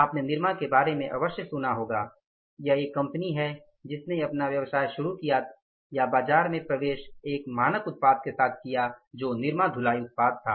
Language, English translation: Hindi, Nirma you must have heard about this is a company which started its business or came into the market with one standard product that was the Nirma washing powder